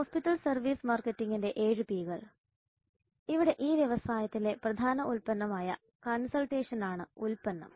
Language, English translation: Malayalam, So the seven piece of hospital service marketing here we have the product which is consultation as the core product